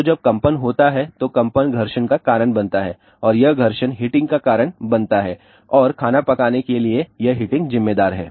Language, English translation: Hindi, So, when that vibration takes place that vibration causes friction and that friction causes heating and that heating is responsible for cooking the food